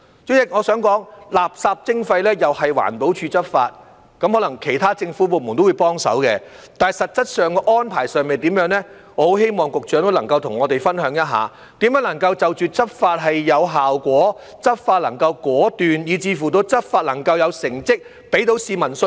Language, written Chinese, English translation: Cantonese, 主席，我想指出，垃圾徵費由環保署執法，可能其他政府部門都會幫手，但實質安排如何，我很希望局長可以跟我們分享，告訴我們如何能使執法有效果，執法能果斷，以至執法能有成績，給市民信心。, President I would like to point out that waste charging will be enforced by EPD and other government departments may render assistance . Yet regarding the specific arrangements I hope the Secretary will share with us how it will ensure that the enforcement will be effective and decisive so as to achieve results and instil confidence among the public